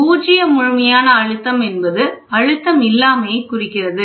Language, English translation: Tamil, Zero absolute represents the total lack of pressure, that is nothing but the absolute pressure